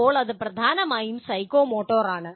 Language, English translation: Malayalam, And then, this is dominantly psychomotor